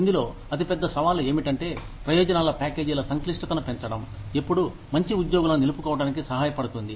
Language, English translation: Telugu, The biggest challenge in this is, increasing complexity of benefits packages, always helps to retain, very good employees